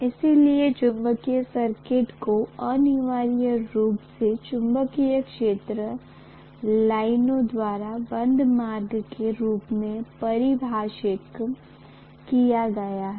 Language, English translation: Hindi, So magnetic circuit is essentially defined as the closed path followed by the magnetic field lines